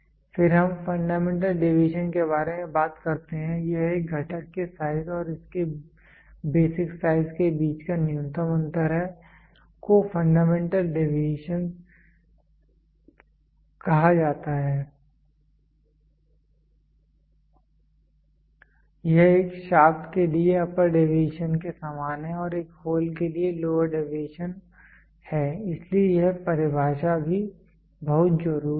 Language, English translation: Hindi, Then we talk about fundamental deviation it is the minimum difference between the size of a component and its basic size is called as fundamental deviation, this is identical to the upper deviation for a shaft and a lower deviation for a hole so this definition is also very important